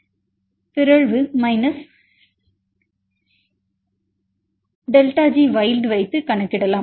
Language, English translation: Tamil, So, delta delta G you can get this is equal to delta G mutants minus delta G wild